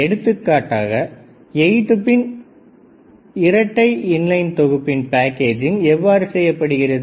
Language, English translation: Tamil, If for example, 8 pin dual inline package, what is this size of this pin